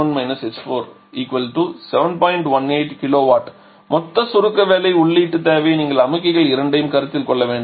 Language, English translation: Tamil, 18 kilowatt total compression work input requirement you are ready to consider both the compressors